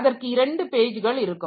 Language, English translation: Tamil, So, it will have 2 pages